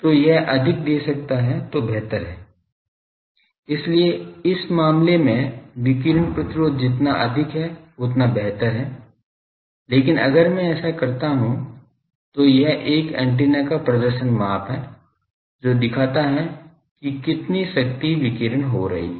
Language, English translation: Hindi, So, more it can give that is better so, radiation resistance higher is better in this case, but if I so this is a performance measure of an antenna for that how much power it can radiate